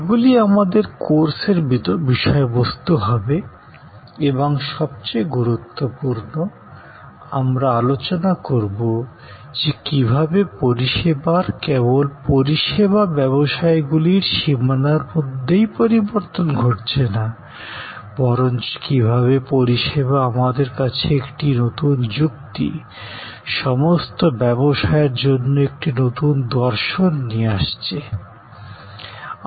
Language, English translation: Bengali, All these will be our course content and most importantly, we will discuss how service is changing not only within the boundary of the service businesses, but how service is bringing to us a new logic, a new philosophy for all businesses